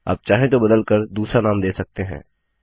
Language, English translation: Hindi, You may rename it if you want to